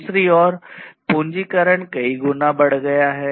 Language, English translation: Hindi, And on the other hand capitalization has increased manifold